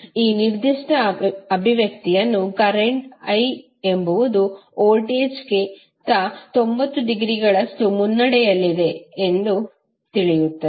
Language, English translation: Kannada, Then if you see this particular expression you will come to know that current I is leading with respect to voltage by 90 degree